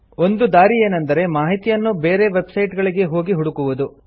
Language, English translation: Kannada, One way is to search by visiting other websites